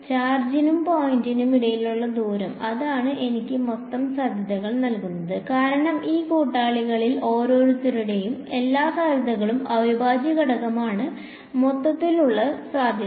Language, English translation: Malayalam, Distance, between the charge and the point right that is what gives me the total potential, for total potential is the integral of all the potential due to everyone of these fellows